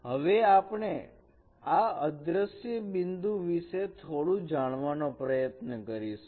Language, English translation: Gujarati, We try to understand a bit more about these vanishing points